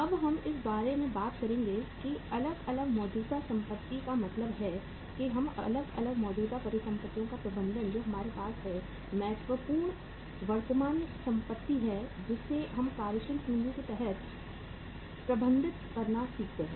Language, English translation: Hindi, Now we will be talking about the say different current assets means the management of the different current assets that we have important current assets which we learn to manage under the working capital are inventory is the first and the foremost asset